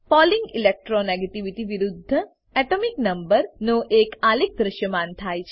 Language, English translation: Gujarati, A chart of Pauling Electro negativity versus Atomic number is displayed